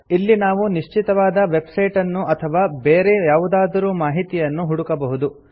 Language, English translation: Kannada, One can search for a specific website or for some other information